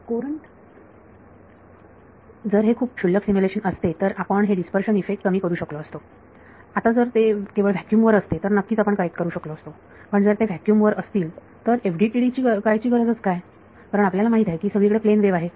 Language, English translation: Marathi, While you could correct for dispersion effects if it were a very trivial simulation now if they were only vacuum sure you can correct for a, but if it were only vacuum what is the need to do FDTD you know it is a plane wave everywhere